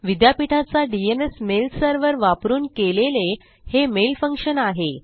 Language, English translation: Marathi, So thats a mail function by using my universitys DNS mail server